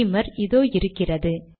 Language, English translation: Tamil, Lets go to Beamer, its here